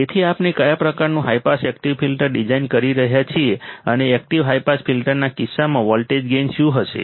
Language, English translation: Gujarati, So, what kind of high pass active filter we can design and what will be the voltage gain in case of active high pass filters